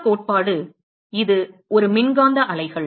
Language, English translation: Tamil, The other theory is that is a electromagnetic waves